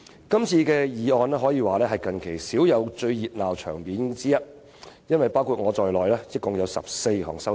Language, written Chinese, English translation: Cantonese, 這次議案辯論可謂近期少有般熱鬧，因為包括我在內共有14項修正案。, It is rare to see any motion debate as keen as this one these days because there are altogether 14 amendments including mine